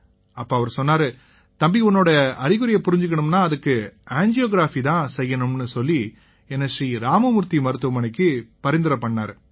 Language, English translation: Tamil, Kapoor, then he said son, the symptoms you have will become clear by angiography, then he referred me to ShriRam Murthy